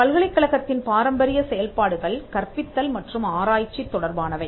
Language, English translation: Tamil, The traditional functions of the university pertain to teaching and research